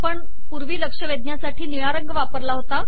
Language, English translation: Marathi, Recall that we used the blue color for alerting